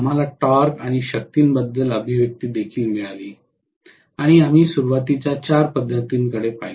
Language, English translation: Marathi, We also got the expression for the torque and power and finally we looked at 4 of the starting methods